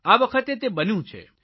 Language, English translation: Gujarati, It happened this time